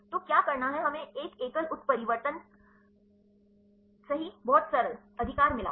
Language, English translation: Hindi, So, what to do we got a single mutation right very simple right